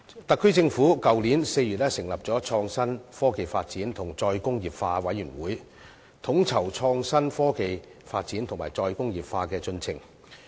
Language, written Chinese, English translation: Cantonese, 特區政府去年4月成立創新、科技及再工業化委員會，統籌創新科技發展及"再工業化"的進程。, The SAR Government established the Committee on Innovation Technology and Re - industrialization in April last year to coordinate the development of innovation and technology and take forward re - industrialization